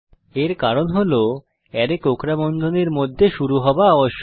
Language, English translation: Bengali, This is because arrays must be initialized within curly brackets